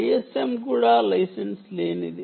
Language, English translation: Telugu, also, i s m unlicensed